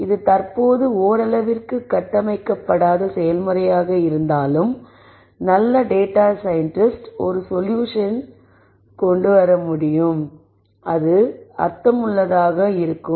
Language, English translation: Tamil, While this is to some extent currently a little bit of unstructured process, good data scientists are able to come up with a solution ow that makes sense and that is relevant for the problem that needs to be solved